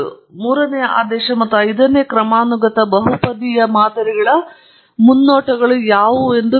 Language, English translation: Kannada, Let’s ask what are the predictions of the third order and fifth order polynomial models